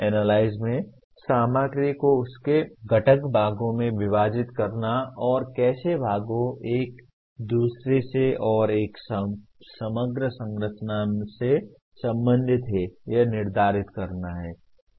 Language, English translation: Hindi, Analyze involves breaking the material into its constituent parts and determining how the parts are related to one another and to an overall structure